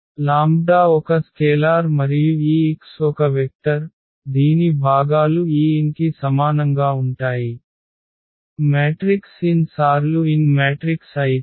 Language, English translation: Telugu, The lambda is a scalar and this x is a vector whose components will be exactly equal to this n, if the matrix is n cross n matrix